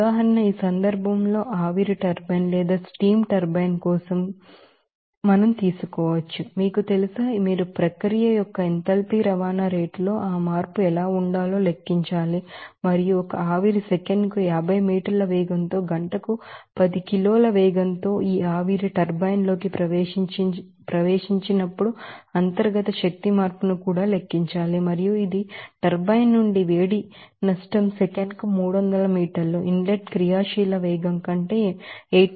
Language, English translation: Telugu, Now, let us do another example, for steam turbine in this case also, you know, you have to calculate what should be that change in enthalpy transport rate of the process and also calculate the internal energy change when a steam enters this steam turbine at a rate of you know 10 kg per hour at a velocity of 50 meter per second and it leaves at 8